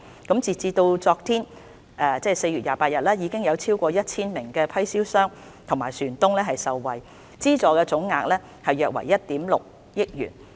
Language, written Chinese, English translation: Cantonese, 截至昨天，已有超過 1,000 名批銷商和船東受惠，資助總額約為1億 6,000 萬元。, As at yesterday the subsidy has benefited over 1 000 live marine fish wholesale traders and vessel owners and the total amount of subsidy is around 160 million